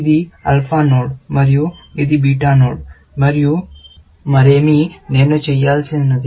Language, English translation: Telugu, This is the alpha node and this is the beta node, and nothing else, I have to do